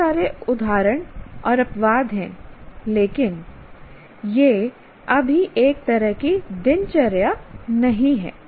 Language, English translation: Hindi, There are instances and exceptions but it is not a kind of a routine thing as yet